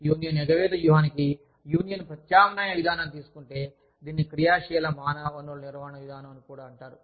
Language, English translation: Telugu, Union substitution approach to union avoidance strategy, is also known as, the proactive human resource management approach